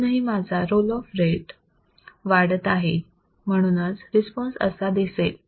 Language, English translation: Marathi, Still my roll off rate is increasing, response will be this